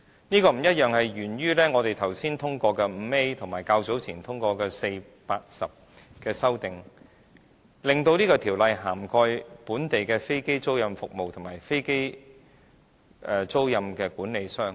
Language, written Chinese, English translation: Cantonese, 這個不同沿於我們剛才通過的第 5A 條及較早前通過的第4、8及10條修正案，令《條例草案》涵蓋本地的飛機租賃服務及飛機租賃管理商。, The difference originates from new clause 5A passed just now and amended clauses 4 8 and 10 passed before which have expanded the scope of the Bill to onshore aircraft leasing activities and aircraft leasing managers